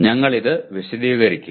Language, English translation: Malayalam, We will explain that